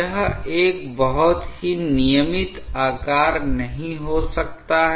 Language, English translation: Hindi, This may not be a very regular shape